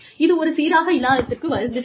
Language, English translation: Tamil, I am sorry for the inconsistency